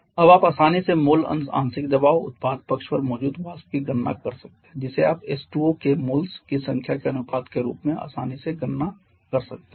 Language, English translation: Hindi, Now you can easily calculate the mole fraction partial pressure the vapour present on the product side that you can easily calculate as 1